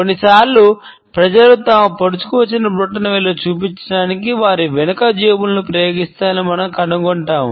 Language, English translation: Telugu, Sometimes we would find that people use their back pockets to show their protruding thumbs